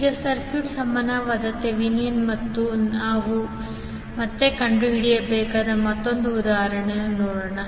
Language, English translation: Kannada, Now, let us see another example where we need to find again the Thevenin equivalent for the circuit